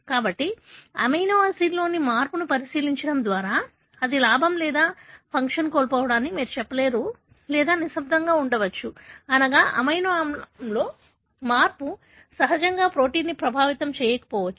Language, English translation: Telugu, So, by looking into change in the amino acid, you will not be able to tell whether it is a gain or loss of function or it could be silent, meaning, the change in amino acid may not really impact the protein, the way it function